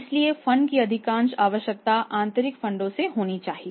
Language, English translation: Hindi, And most of the funds requirement should be made from the internal funds